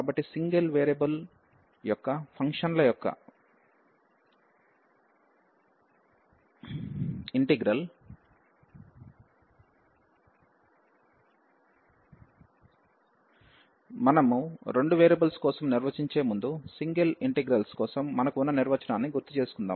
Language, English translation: Telugu, So, the integral of functions of single variable, so before we define for the two variables